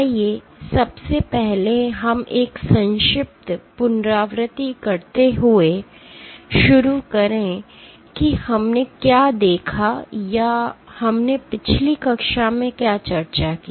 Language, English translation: Hindi, Let we first start by you know doing a brief recap of what we observed, or what we discussed in last class